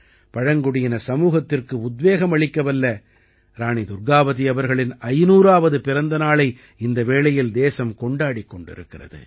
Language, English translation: Tamil, The country is currently celebrating the 500th Birth Anniversary of Rani Durgavati Ji, who inspired the tribal society